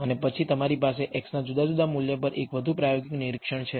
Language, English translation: Gujarati, And then you have one more experimental observation at a different value of x